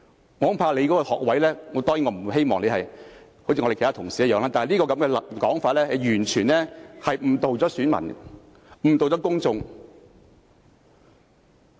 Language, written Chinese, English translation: Cantonese, 我恐怕你的學位......當然，我不希望你跟其他同事一樣，但這種說法是完全誤導選民和公眾的。, I am afraid your degree Of course I hope you will not act like your colleagues but your comment is absolutely misleading electors and the public